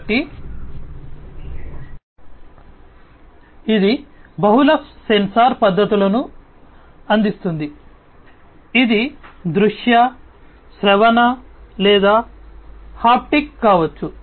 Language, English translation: Telugu, So, it provides multiple sensor modalities, which can be visual, auditory or, haptic